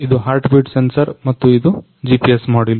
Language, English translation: Kannada, This is the heartbeat sensor and this is the GPS module